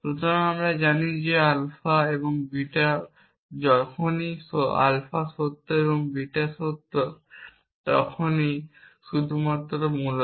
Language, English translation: Bengali, So, we know that alpha and beta is true whenever alpha is true and beta is true and only then essentially